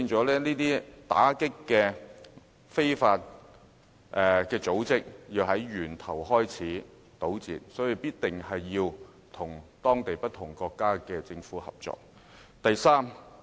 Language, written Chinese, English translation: Cantonese, 故此，打擊工作要從源頭做起，我們一定要與不同國家的政府合作。, Therefore if we are to curb the problem at source we should cooperate with the governments in various countries